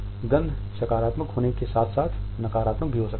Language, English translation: Hindi, A smell can be positive as well as a negative one